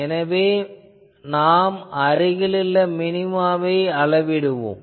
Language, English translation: Tamil, So, you measure the nearest minima